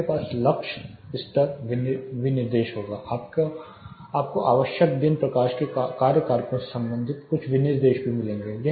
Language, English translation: Hindi, You will have like lux level specification; you will also find some specifications relating to required daylight factors